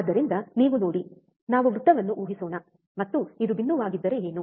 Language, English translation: Kannada, So, you see, let us assume a circle um, and what is if this is the point